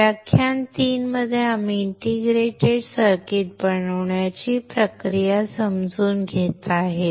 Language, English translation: Marathi, In class 3 we are understanding the process to fabricate an integrated circuit